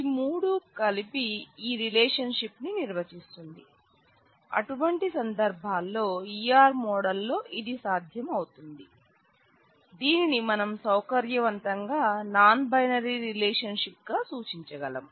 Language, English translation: Telugu, So, all three together define this relationship; so, in such cases it is possible in E R model that we can represent it conveniently as a non binary relationship